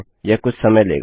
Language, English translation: Hindi, Its going to take a while